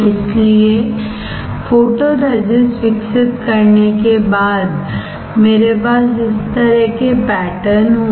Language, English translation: Hindi, So, after developing photoresist I will have patterns like this